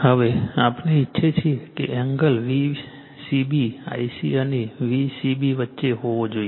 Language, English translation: Gujarati, Now, you we want the angle should be in between V c b I c and V c b